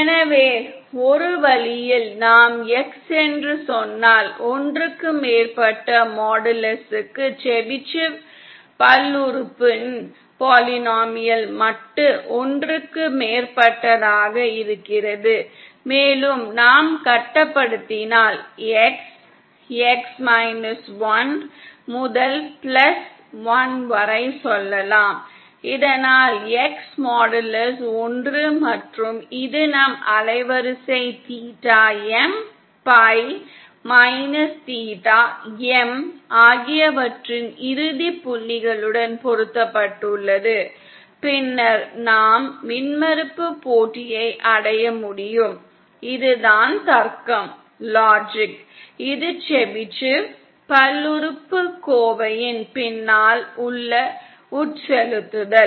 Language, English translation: Tamil, So in a one way if we choose say our X, for modulus X greater than one we have the modulus of the Chebyshev polynomial greater than one and if we restrict suppose say our X between minus one to plus one so that modulus of X is one and this is mapped to the end points of our band width theta M, pi minus theta M, then we can achieve the impedence match, this is the logic, this is the infusion behind the Chebyshev polynomial